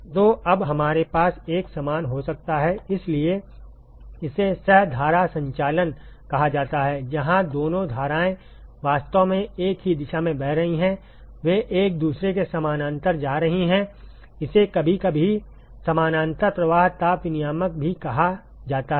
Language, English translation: Hindi, So, now we could have a similar; so this is called the co current operation, where both streams are actually flowing in the same direction: they are going parallel to each other, this is also sometimes called as parallel flow heat exchanger